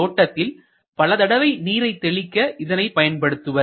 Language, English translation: Tamil, So, many times it is used to sprinkle water in a garden